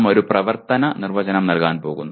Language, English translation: Malayalam, We are going to give an operational definition